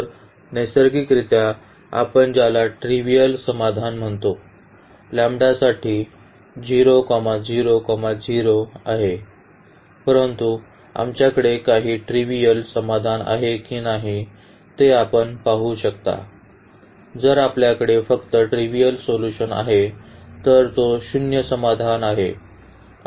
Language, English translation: Marathi, So, naturally all the trivial solution what we call here is 0, 0, 0 for lambdas, but you will see whether we have some non trivial solution or not if you have only the trivial solution that is the zero solution then we call that they are linearly independent